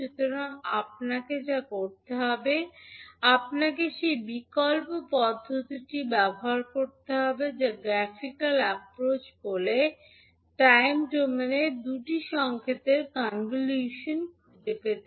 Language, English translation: Bengali, So what you have to do, you have to use the alternate approach that is called the graphical approach to find the convolution of two signal in time domain